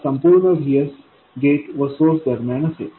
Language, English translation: Marathi, All of this VS appears across the gate and source